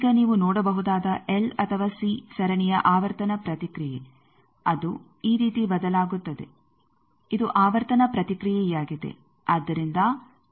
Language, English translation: Kannada, Now, frequency response of a series L or C you can see that that varies like this is the frequency response